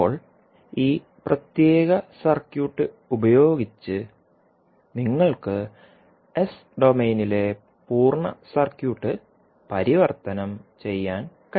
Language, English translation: Malayalam, Now, using this particular circuit you can transform the complete circuit in the S domain